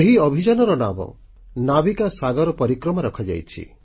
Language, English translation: Odia, The expedition has been named, Navika Sagar Parikrama